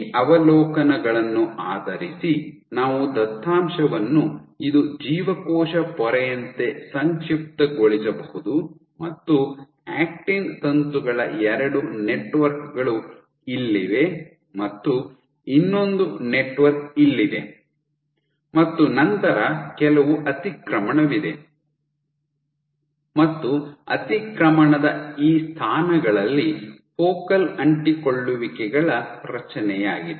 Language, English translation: Kannada, So, to summarize, these observations so based on this you can we can summarize the data; as if this was a cell membrane you have two networks of actin filaments one is here the other network is here and then, there is some overlap and at these positions of overlap you have the formation of focal adhesions